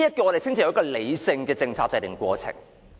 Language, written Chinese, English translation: Cantonese, 我們稱之為理性的政策制訂過程。, We call this rational policy - making process